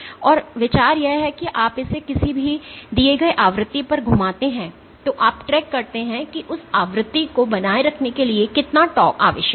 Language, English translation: Hindi, And the idea is that you track you rotate it at a given frequency and you track how much torque is required to maintain that frequency ok